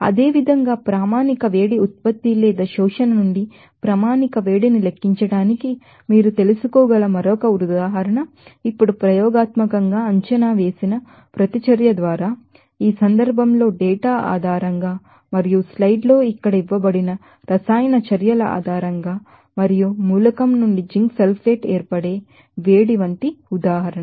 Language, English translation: Telugu, Similarly, another example you can you know do for calculation of standard heat of formation from standard heat generation or absorption by reaction that experimentally estimated now, in this case, an example like on the basis of data and the chemical reactions given below here in the slides and the heat of formation of zinc sulfate from the element exactly the same way what about we have done